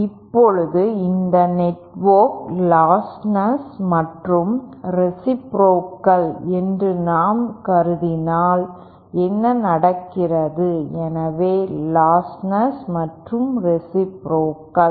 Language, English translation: Tamil, Now if we if we consider that this network is both lostless and reciprocal then what happens, so lostless and reciprocal